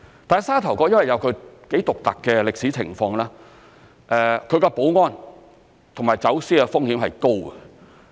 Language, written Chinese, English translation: Cantonese, 但沙頭角有其獨特的歷史情況，其保安及走私風險是高的。, However due to its unique historical circumstances Sha Tau Kok is at high risk of smuggling and other security threats